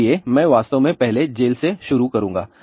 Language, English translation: Hindi, So, I will actually first start with the prison